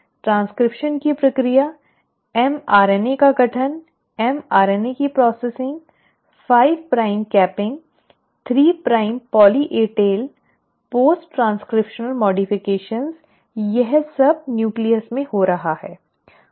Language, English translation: Hindi, The process of transcription, formation of mRNA processing of mRNA, 5 prime capping, 3 prime poly A tail, post transcriptional modifications, all that is happening in the nucleus